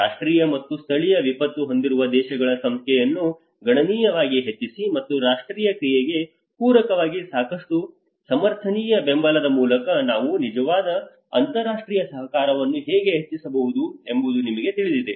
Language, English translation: Kannada, And as well as substantially increase the number of countries with national and local disaster and you know how we can actually enhance the international cooperation through adequate sustainable support to complement the national action